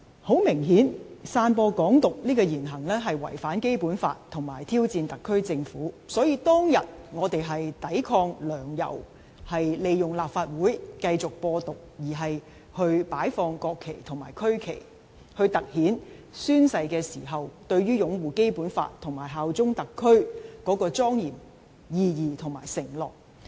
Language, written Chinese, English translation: Cantonese, 很明顯，散播"港獨"這言行違反《基本法》並挑戰特區政府，所以當日我們是為抵抗"梁、游"利用立法會繼續"播獨"而擺放國旗及區旗，從而突顯宣誓時對擁護《基本法》及效忠特區的莊嚴意義和承諾。, It is obvious that the speeches and acts spreading Hong Kong independence violate the Basic Law and challenge the SAR Government . For this reason on that day in defiance of Sixtus LEUNG and YAU Wai - chings continued use of the Legislative Council to spread Hong Kong independence we placed the national flags and regional flags to highlight the solemnity and pledge of upholding the Basic Law and swearing allegiance to SAR in taking the oath